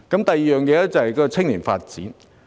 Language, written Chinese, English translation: Cantonese, 第二點是青年發展。, The second topic is youth development